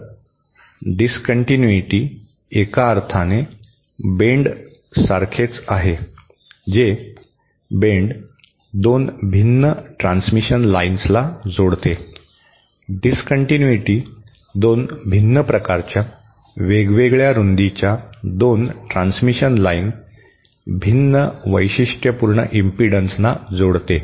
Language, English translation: Marathi, So, a discontinuity is similar to the bend in the sense that bend connects 2 different transmission lines, discontinuity connects 2 different types of, 2 transmission lines of different widths, different characteristic impedances